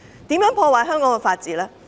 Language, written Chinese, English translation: Cantonese, 如何破壞香港的法治？, How do they undermine the rule of law in Hong Kong?